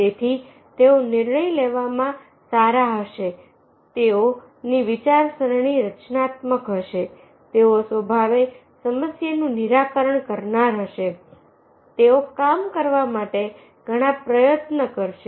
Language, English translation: Gujarati, so therefore there will be good in decision making, their thinking will be constructive, they will be problem solving in nature, they will put a lot of effort to do the job